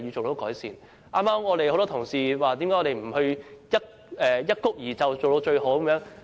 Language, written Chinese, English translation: Cantonese, 多位議員剛才質疑何不一蹴而就，做到最好。, Just now a number of Members questioned why the Council did not perfect the Bill in one go